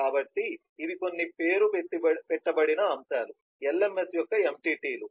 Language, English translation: Telugu, so these are some of the named elements, entities of the lms